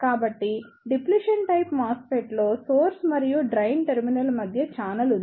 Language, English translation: Telugu, So, Depletion type MOSFET there is a channel between the source and the drain terminal